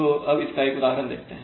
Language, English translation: Hindi, So let us see how so one example